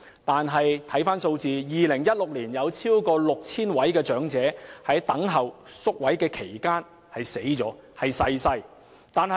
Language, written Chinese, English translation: Cantonese, 但在2016年，有超過 6,000 名長者在等候宿位期間逝世。, But in 2016 more than 6 000 elderly persons passed away while counting the days